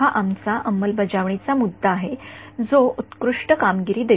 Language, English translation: Marathi, This is our implementation issue this is what gives the best performance